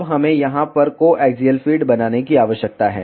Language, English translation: Hindi, Now, we need to make the co axial feed over here